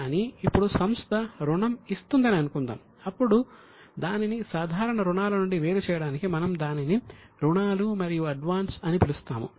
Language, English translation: Telugu, But suppose company has ducre who loan diya then to distinguish it from normal loans we will call it as loan and advance